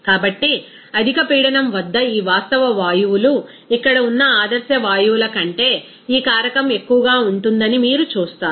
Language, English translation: Telugu, So, see that at higher pressure, you will see that these real gases this factor will be higher than that ideal gases here